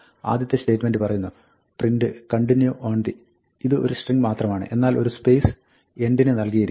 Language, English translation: Malayalam, The first statement says, ‘print “Continue on the”’; this is just a string; but set end to a space